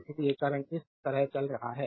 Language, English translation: Hindi, so, current is going like this